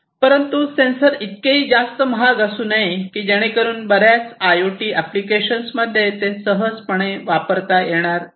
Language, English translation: Marathi, But at the same time it should not be too expensive to be not being able to use easily in most of the IIoT applications